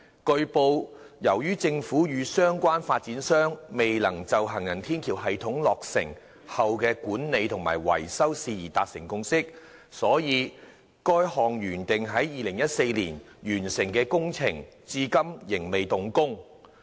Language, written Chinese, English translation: Cantonese, 據報，由於政府與相關發展商未能就行人天橋系統落成後的管理及維修事宜達成共識，所以該項原定於2014年完工的工程至今仍未動工。, It has been reported that as the Government and the relevant developers failed to reach a consensus on the management and maintenance of the elevated walkway system after its completion the works project which was originally scheduled for completion in 2014 has not yet commenced to date